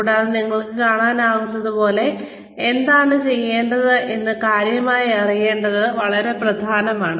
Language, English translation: Malayalam, And, as you can see, it is very important to know exactly, what needs to be done